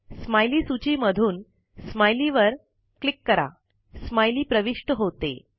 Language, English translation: Marathi, From the Smiley list, click Smile